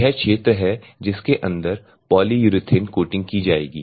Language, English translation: Hindi, This is a wear area is a polyurethane coating will be done on inside